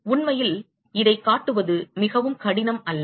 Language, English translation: Tamil, In fact, it is not very difficult to show this